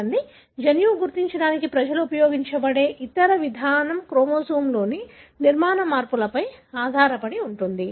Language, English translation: Telugu, See, the other approach people have used to identify a gene is based on structural changes in the chromosome